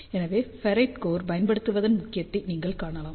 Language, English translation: Tamil, So, you can see the importance of using ferrite core